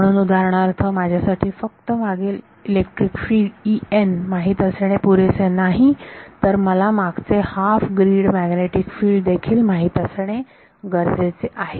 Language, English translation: Marathi, So, for example, E n it is not enough for me to just know electric field at the past I also need to know magnetic field at half grid past